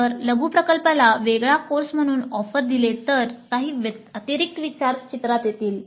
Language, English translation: Marathi, But if mini project is offered as a separate course, then some additional considerations come into the picture